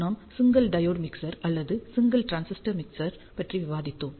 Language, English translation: Tamil, We discussed about simplest single diode mixer or single transistor mixer